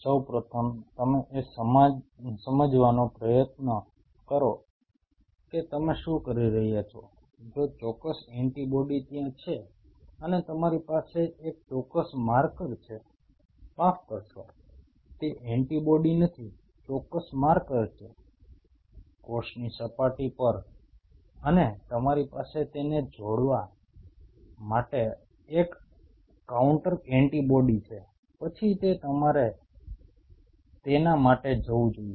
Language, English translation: Gujarati, First of all you try to understand what you are doing, if the specific antibody is there and you have a or a specific marker is there sorry pardon my, language it is not antibody is the a specific marker is there, on the cell surface and you have a counter antibody to bind to it then only you should go for it